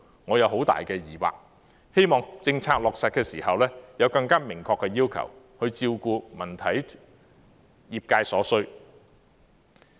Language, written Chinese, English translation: Cantonese, 我有很大的疑惑，希望政策落實時，有更明確的要求，照顧文體業界所需。, I have serious doubts and hope that there will be more specific requirements to cater for the needs of the cultural and sports sectors when the policy is implemented